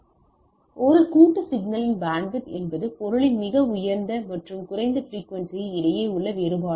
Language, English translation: Tamil, So, bandwidth of a composite signal is the difference between the highest and the lowest frequency of the thing right